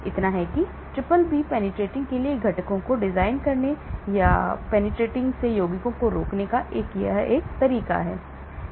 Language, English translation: Hindi, so that is one way of designing components for BBB penetration or preventing compounds from BBB penetrating